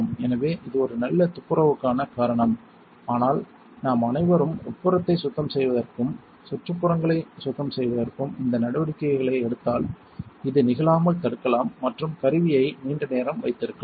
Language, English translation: Tamil, So, it is almost due for a good cleaning, but if we all take these steps to clean the inside and clean the surroundings we can prevent this from happening and keep the tool up longer